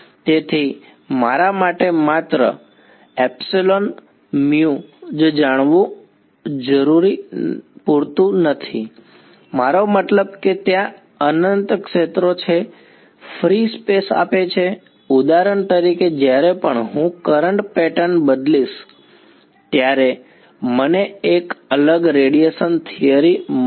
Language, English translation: Gujarati, So, its not enough for me to just know epsilon, mu I mean there are infinite fields given free space for example, right every time I change the current pattern I get a different radiation theory